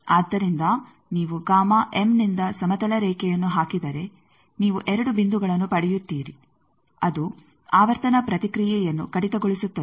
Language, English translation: Kannada, So, if you put a horizontal line from the gamma m then you see 2 points you are getting which is cutting that frequency response